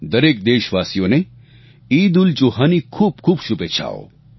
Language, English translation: Gujarati, Heartiest felicitations and best wishes to all countrymen on the occasion of EidulZuha